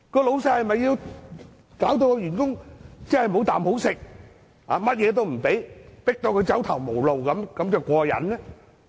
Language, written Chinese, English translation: Cantonese, 老闆是否要搞到員工"無啖好食"，甚麼也不給他，迫到他走投無路才"過癮"呢？, Will employers only be elated when the employee leads a poor life and is driven to a dead end?